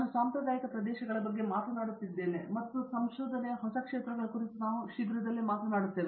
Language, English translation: Kannada, I am talking about the traditional areas and I think very soon we will be talking about the new areas of research also